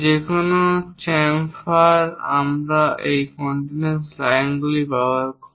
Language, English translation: Bengali, Any chamfers, we represent including that chamfering lens using these continuous lines